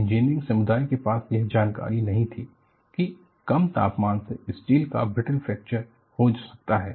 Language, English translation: Hindi, The engineering community was clueless that low temperature can cause brittle fracture of steel